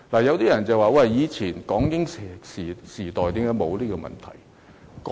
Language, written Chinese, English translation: Cantonese, 有些人會問，為何以前港英時代沒有這問題？, Some people may wonder why this issue was unheard of during the Hong Kong - British era